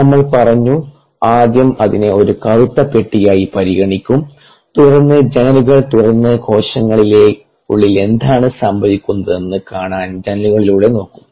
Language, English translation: Malayalam, now we said we will first consider it is a black box, the cell, and then we will open up windows and look through the windows to see what is happening inside the cell